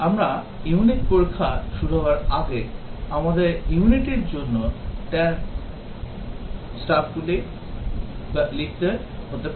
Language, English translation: Bengali, Before we start unit testing, we might have to write the drivers and stubs for the unit